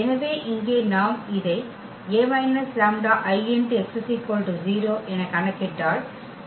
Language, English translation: Tamil, So, here if we compute this a minus lambda I x is equal to 0